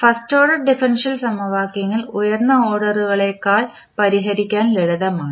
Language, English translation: Malayalam, So, the first order differential equations are simpler to solve than the higher order ones